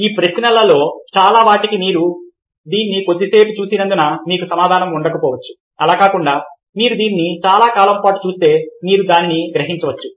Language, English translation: Telugu, to many of this questions you may not have an answer, not only because you saw it for a short while, because you see that if you see it for a long time, you would be attending to it